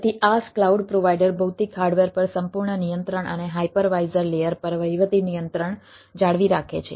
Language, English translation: Gujarati, so in iaas, cloud provider maintains total control over the physical hardware and administrative control over the hypervisor layer